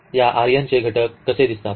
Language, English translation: Marathi, How the elements of this R n looks like